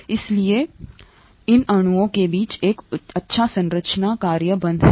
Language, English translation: Hindi, So there is a good structure function relationship between these molecules